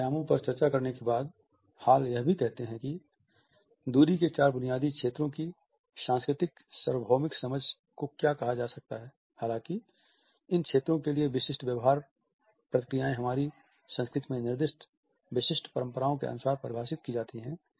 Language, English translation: Hindi, After having discussed these dimensions, he also says that there is what can be termed as a cultural universal understanding of the four basic zones of distances; however, specific behavior responses to these zones are defined according to our culturally specific conventions